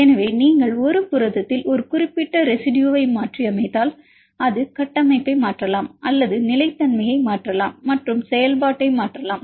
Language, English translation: Tamil, So, if you mutate a specific residue in a protein, it may alter the structure or alter stability as well as alter the function